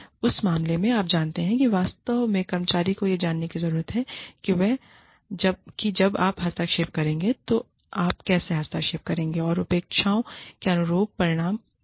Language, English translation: Hindi, And, in that case, you know, you really, the employee needs to know, when you will intervene, how you will intervene, what the consequences of the expectations not being met are